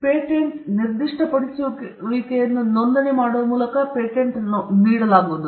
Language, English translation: Kannada, Registration could be registration of a patent specification by which a patent is granted